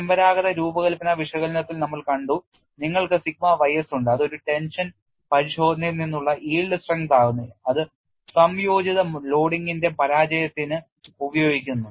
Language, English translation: Malayalam, We have seen in conventional design analysis, you have sigma y s which is the yield strength from a tension test is used for failure of combine loading